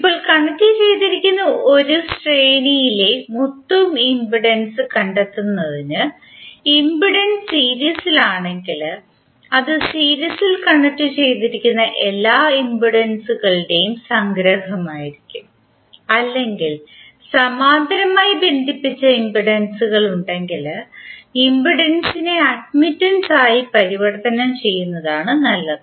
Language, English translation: Malayalam, Now, law of in impedance is in series and parallel are like when you want to find out the total impedance in a series connected it will be summation of all the impedances connected in series or if you have the parallel connected then better to convert impedance into admittance